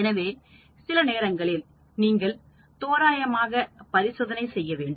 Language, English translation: Tamil, So sometimes you need to do randomly experiment